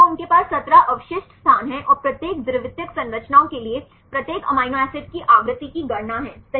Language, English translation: Hindi, So, they have 17 a residue positions and calculate the frequency of each amino acid for each secondary structures right